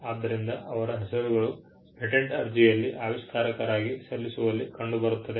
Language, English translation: Kannada, So, their names figure in filing in a patent application as the inventors